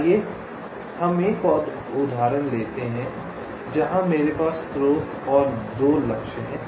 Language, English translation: Hindi, lets take an example like this, where i have the source here and the two targets